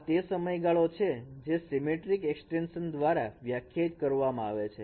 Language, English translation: Gujarati, This is the end and this is the period that would be defined by this symmetric extension